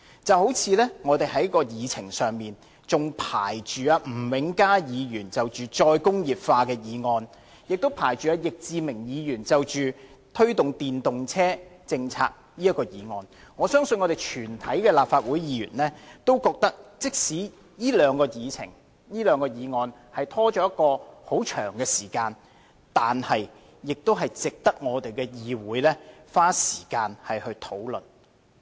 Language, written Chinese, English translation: Cantonese, 正如在立法會議程上仍排列了吳永嘉議員就再工業化的議案，以及易志明議員就推動電動車政策的議案，我相信全體立法會議員均會認為，即使這兩項議程、議案被拖延了一段很長的時間，但仍值得議會花時間來討論。, A meaningful motion can stand the test of time and will never lose its meaning over a prolonged period just as the motions moved by Mr Jimmy NG and Mr Frankie YICK respectively on re - industrialization and the policy on promoting electric vehicles which still remains on the agenda of this Council